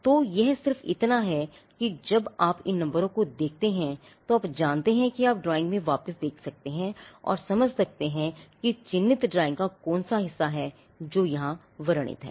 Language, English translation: Hindi, So, it is just how so, when you see these numbers you know you can look back into the drawing and understand which part of the marked drawing is the part that is described here